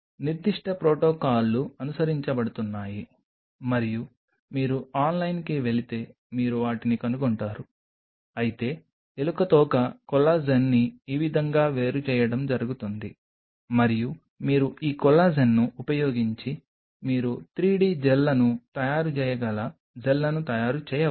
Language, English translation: Telugu, There are specific protocols which are being followed and if you go online you will find them, but this is how a rat tail collagen is being isolated and that is this could be used you can use this collagen to make Gels you can make 3 d Gels and you can make thin layers depending on at what level you are diluting the solution